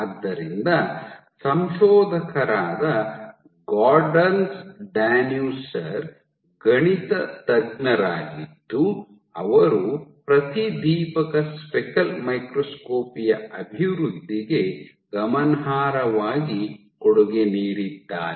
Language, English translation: Kannada, So, there are authors Goderns Danuser is a mathematician who has significantly contributed to the development of fluorescence speckle microscopy